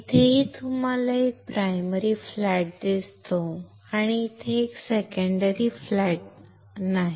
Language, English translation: Marathi, Here also if you see there is a primary flat, and there is no there is a secondary flat here